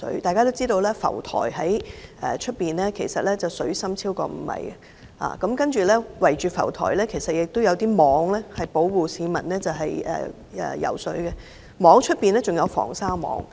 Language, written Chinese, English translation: Cantonese, 大家也知海上浮台的水深超過5米，而浮台周圍設有圍網，保護市民游泳安全，而圍網外還設有防鯊網。, We all know that beach rafts are located at waters of a depth exceeding five metres . Beach rafts are surrounded by fencing nets to ensure the safety of swimmers and shark prevention nets are placed outside the fencing nets